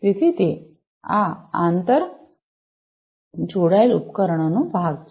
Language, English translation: Gujarati, So, that is these inter linked devices part